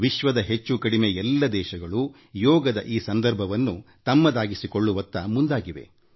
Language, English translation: Kannada, Almost all the countries in the world made Yoga Day their own